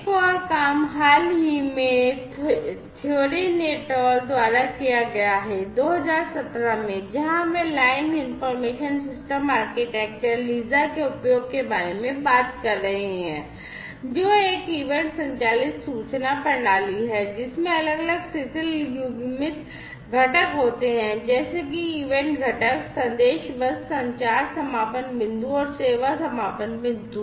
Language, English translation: Hindi, in 2017, where they are talking about the use of Line Information System Architecture LISA, which is an event driven information system, which has different loosely coupled components, such as the event component, the message bus, the communication endpoint, and the service endpoint